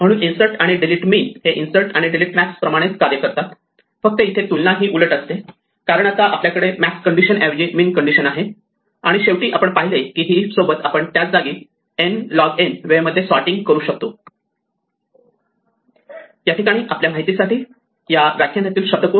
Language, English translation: Marathi, So, the insert and delete min work exactly like insert and delete max, except that the comparisons are reversed because we now have a min condition rather than the max condition locally and finally, we saw that with a heap we can do sorting in order n log time in place